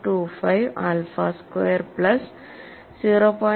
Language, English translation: Malayalam, 025 alpha square plus 0